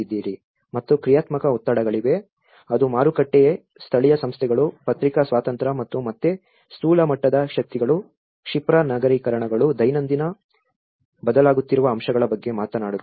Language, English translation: Kannada, And there is a dynamic pressures, which is talking about the market, the local institutions, the press freedom and which are again the macro level of forces, the rapid urbanizations which are everyday changing factors